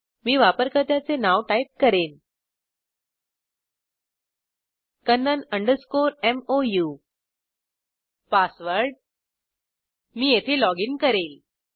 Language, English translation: Marathi, The username I will type kannan underscore Mou, Password i will login here